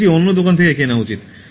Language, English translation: Bengali, that should be purchased from the other shop